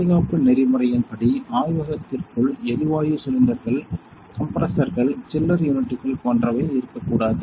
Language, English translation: Tamil, As per safety protocol you should not have gas cylinders, compressors, chiller units etcetera inside the lab